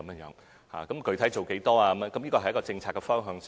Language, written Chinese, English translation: Cantonese, 至於具體做多少，這是政策方向的事宜。, As regards the actual amount of efforts this is an issue of policy direction